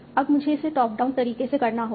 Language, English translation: Hindi, Now I have to do it in a top term manner